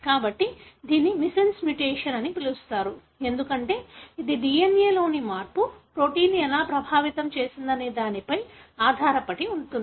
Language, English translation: Telugu, So, this is called as missense mutation, because it depends on how that change in the DNA has affected the protein